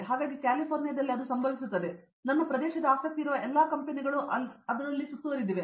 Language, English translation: Kannada, So, it happens in California as you know it is surrounded by all the companies that my area of interest